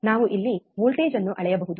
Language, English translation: Kannada, wWe have we can measure the voltage here